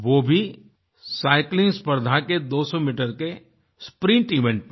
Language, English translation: Hindi, That too in the 200meter Sprint event in Cycling